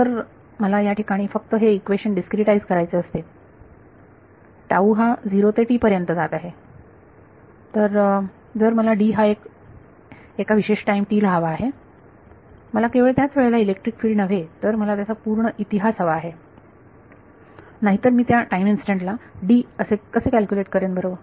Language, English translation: Marathi, So, if I were to just discretize this equation over here tau is going from 0 to t, so if I want d at a certain time t I need electric field not only at that time instant, but I need the entire history otherwise how will I calculate D at that time instant right